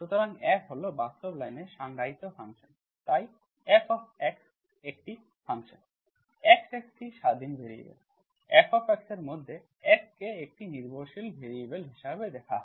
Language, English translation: Bengali, So F is the function defined on the real line, so F is a function, x is the independent variable, F is view it as F of x as a variable, F is dependent variable